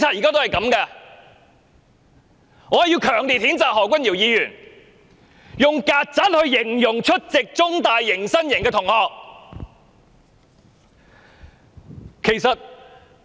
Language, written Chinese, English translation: Cantonese, 我必須強烈譴責何君堯議員以"曱甴"形容出席中大迎新營的學生。, I must strongly condemn Dr Junius HO for labelling those student attendants of CUHKs orientation day as cockroach